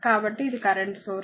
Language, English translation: Telugu, So, this is a current source